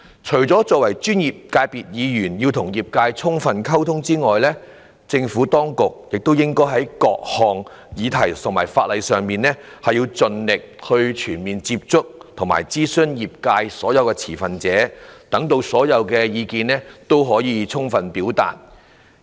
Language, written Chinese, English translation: Cantonese, 除了專業界別的議員要與業界充分溝通之外，政府當局也應該在各項議題和法例上，盡力全面接觸和諮詢業界所有持份者，讓所有意見均能充分表達。, Yet not only should Members representing these industries and professional sectors maintain good communication with the trade the authorities should also do their best to liaise with all stakeholders in the trade and consult them about different issues and legislations so as to make sure that all their views are fully reflected